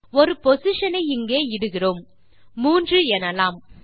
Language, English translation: Tamil, We enter a position here, say 3